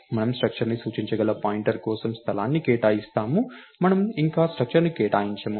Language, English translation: Telugu, We just allocate space for a pointer that can point to a structure, we don't allocate a structure yet